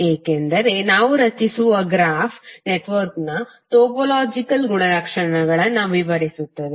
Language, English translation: Kannada, Because the graph what we are creating is describing the topological properties of the network